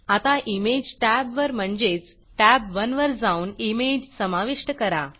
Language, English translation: Marathi, Lets now go to the Image tab and add an image